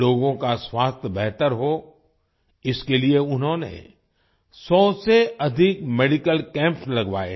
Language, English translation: Hindi, To improve the health of the people, he has organized more than 100 medical camps